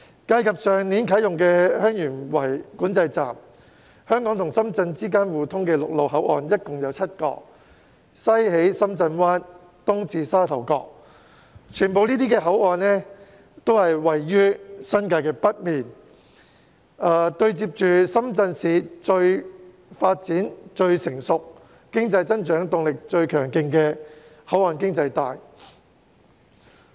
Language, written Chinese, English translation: Cantonese, 計及去年啟用的香園圍邊境管制站，香港與深圳之間互通的陸路口岸共有7個，西起深圳灣，東至沙頭角，這些口岸全部均位於新界北面，對接着深圳市發展最成熟、經濟增長動力最強勁的"口岸經濟帶"。, Taking into account the Heung Yuen Wai Boundary Control Point commissioned last year we have a total of seven land boundary control points between Hong Kong and Shenzhen including Shenzhen Bay in the west and Sha Tau Kok in the east . All these control points are located in the northern part of the New Territories close to the Shenzhens port economic belt where the economy is the most developed and the economic growth momentum is the strongest